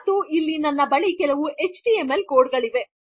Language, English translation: Kannada, And here I have got some html code